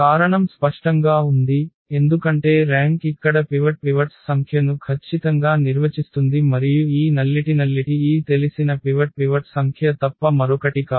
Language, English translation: Telugu, The reason is clear because the rank defines exactly the number of pivots here and this nullity is nothing but the number of this known pivots